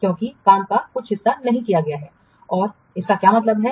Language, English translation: Hindi, Because some portion of the work has not been done